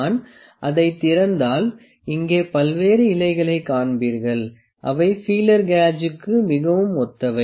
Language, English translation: Tamil, If I open it, you will see the various leaves here, which are very similar to the feeler gauge